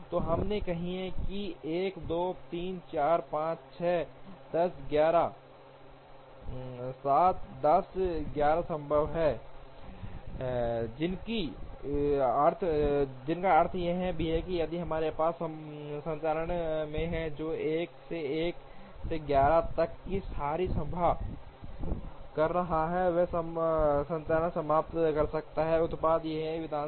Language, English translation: Hindi, So, we would say that 1 2 3 4 5 6 7 8 9 10 11 is feasible, which also means that if we have one operator sitting and doing all the assembly of 1 to 1 to 11, then the operator can come with a finished product or an assembly